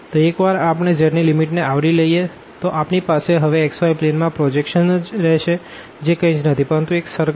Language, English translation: Gujarati, So, once we have covered the limits of z then what is left it is a projection to the xy plane and that is nothing, but the circle